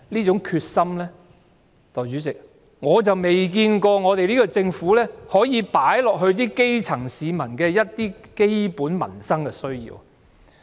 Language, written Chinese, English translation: Cantonese, 可是，代理主席，我卻未看到她有把這種決心放在解決基層市民的基本民生需要上。, The worst of all is that she acts by her own will . How invincible she is! . But Deputy President I do not see that she shows the same resolution in meeting the basic livelihood needs of the grass roots